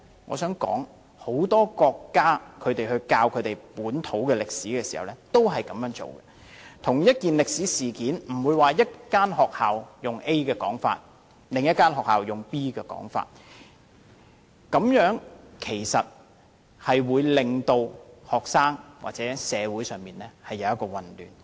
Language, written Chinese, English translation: Cantonese, 我想指出，很多國家在教授本土歷史時亦這樣做，對同一件歷史事件，不會有一間學校以 A 的說法來教授，另一間學校則有 B 的說法，這種做法會令學生感到混淆或社會出現混亂。, I wish to point out that many countries will adopt the same practice when teaching their own history so as to avoid the situation of one school adopts viewpoint A while another school adopts viewpoint B in teaching the same historical incident . In so doing students or the whole community will be confused